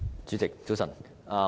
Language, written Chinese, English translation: Cantonese, 主席，早晨。, Good morning President